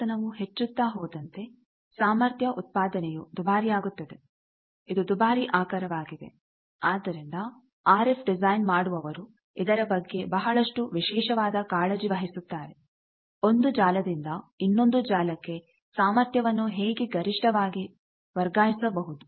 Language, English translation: Kannada, But when we go higher up in frequency, when producing power is very costly, it is a costly resource that is why the RF design people they take very special care about, how to maximize the transfer of power from one network to another network